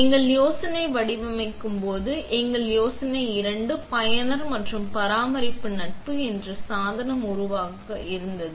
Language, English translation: Tamil, Our idea while designing it was to create a device that is both, user and maintenance friendly